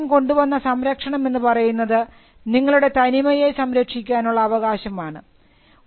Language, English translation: Malayalam, So, the protection that registration brought was the preservation of the uniqueness